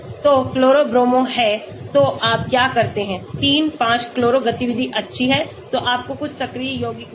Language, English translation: Hindi, So, chloro is Bromo is so what do you do 3, 5 chloro activity is good so you found some active compounds